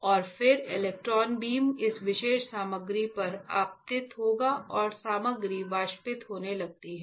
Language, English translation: Hindi, And then electron beam electron beam will be incident on this particular material and the material starts evaporating